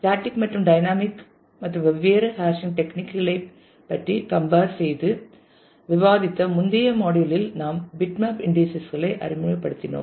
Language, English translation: Tamil, We have in the last module discussed about different hashing techniques static and dynamic and compare that in introduce bitmap indices